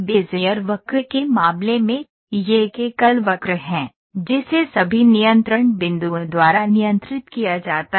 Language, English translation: Hindi, In the case of Bezier curve it is a single curve, controlled by all the control points, there’s only a single curve